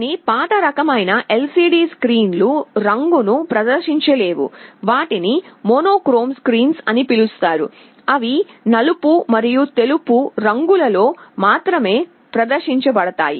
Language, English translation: Telugu, Some of the older kind of LCD screens cannot display color; those are called monochrome screens, they can display only in black and white